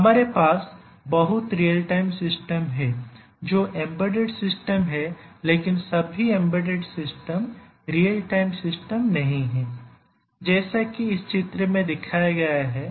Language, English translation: Hindi, So, we have majority of the real time systems are embedded systems, but not all embedded systems are real time systems as shown in this diagram and also there are some real time systems which are not embedded